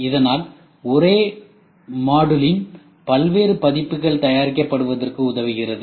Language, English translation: Tamil, So, thus enabling a variety of versions of the same module to be produced